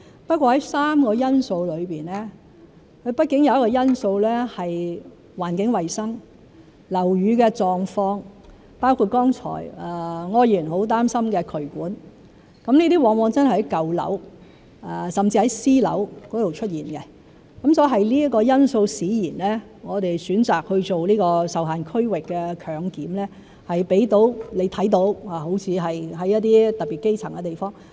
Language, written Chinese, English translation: Cantonese, 不過，在3個因素當中，畢竟有一個因素是環境衞生、樓宇的狀況，包括剛才柯議員很擔心的渠管狀況，這些往往都真的在舊樓甚至是私樓出現，所以是這個因素使然，讓你看到我們好像選擇在特別基層的地方做這"受限區域"強檢。, Yet after all among the three factors there is after all a factor of environmental hygiene and building condition including the drainage condition about which Mr OR has expressed concern just now . These conditions are often found in old buildings and even private buildings . It is this factor which makes you see that we seem to have chosen to do the compulsory testing in a restricted area where the grass roots live in particular